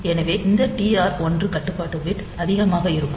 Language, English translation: Tamil, So, we will see this TR 1 bit later to this TR 1 control bit is high